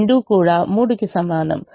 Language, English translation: Telugu, both are equal to three